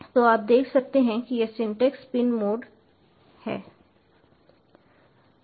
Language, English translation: Hindi, so you can see this syntax: is pin mode, pin comma mode